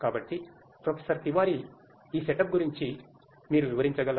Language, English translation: Telugu, So, Professor Tiwari, could you explain like what is this setup all about